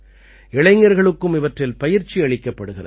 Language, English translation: Tamil, Youth are also given training for all these